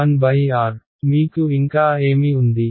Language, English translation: Telugu, 1 by R; what else do I have